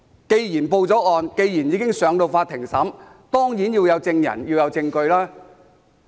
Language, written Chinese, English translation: Cantonese, 既然已經報案，案件已經交由法院審理，當然要有證人和證據。, Given that a report has been made the case is brought before the Court for trial so witnesses and evidence would certainly be involved